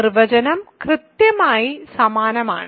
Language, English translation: Malayalam, So, and the definition is exactly the same